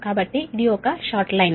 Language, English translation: Telugu, so this is a short line